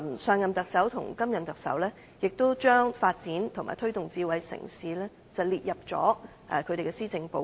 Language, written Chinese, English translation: Cantonese, 上任特首及現任特首也把發展及推動智慧城市列入他們的施政報告。, The Chief Executives of the previous term and the current term have included the development and promotion of Hong Kong as a smart city in their policy addresses